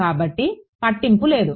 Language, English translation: Telugu, So, does not matter